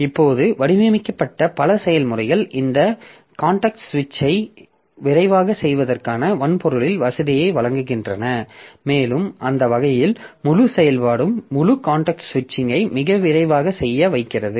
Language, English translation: Tamil, So, many of the processors that are designed now they provide facility for in the hardware for doing this context switching fast and that way it makes the whole operation, whole context switching to be done quite fast